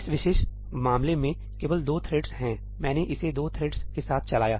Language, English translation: Hindi, In this particular case, there are only 2 threads, I ran this with 2 threads